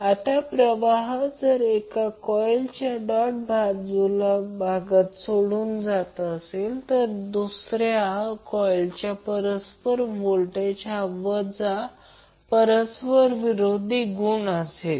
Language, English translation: Marathi, Now if the current leaves the doted terminal of one coil the reference polarity of the mutual voltage in the second coil is negative at the doted terminal of the coil